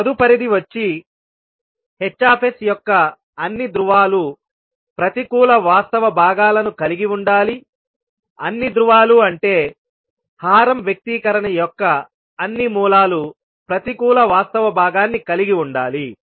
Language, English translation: Telugu, Next requirement is that all poles of Hs must have negative real parts, all poles means, all roots of the denominator expression must have negative real part